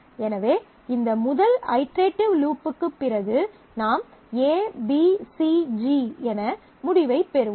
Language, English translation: Tamil, So, after this first iterative loop I will have the result as ABCG